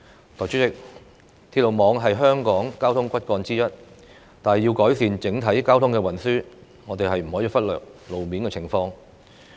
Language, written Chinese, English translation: Cantonese, 代理主席，鐵路網是香港的交通骨幹之一，但要改善整體交通運輸，我們不可以忽略路面情況。, Deputy President railway is part of the transportation backbone of Hong Kong . Yet road traffic cannot be ignored in order to improve the overall transportation